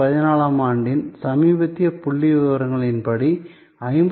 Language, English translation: Tamil, According to the latest statistics in 2014, 59